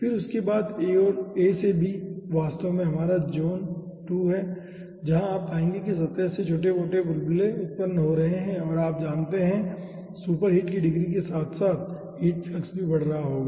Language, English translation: Hindi, then after that, a to b is actually our ah region 2, where you will be finding out, smaller bubbles are being generated from the surface and ah, you know, with degrees of superheat, heat flux will be also increasing